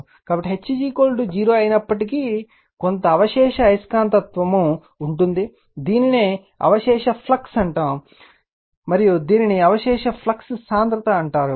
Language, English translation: Telugu, So, although H is equal to 0, but some residual magnetism will be there, this is called your what you call that residual flux right, and this is residual flux density